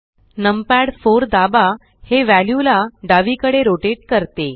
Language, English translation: Marathi, Press numpad 4 the view rotates to the left